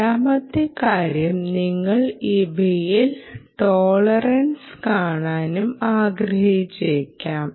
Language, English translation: Malayalam, second thing is you may also want to look at tolerance